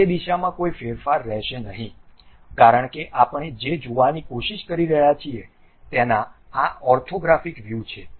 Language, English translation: Gujarati, There will not be any variation in that direction because these are the orthographic views what we are trying to look at